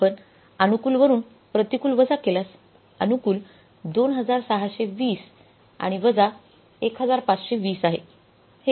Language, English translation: Marathi, So, if you subtract the unfavorable from the favorable, so favorable is 2620 and minus 1520